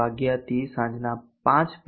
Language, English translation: Gujarati, in the morning to5:00 p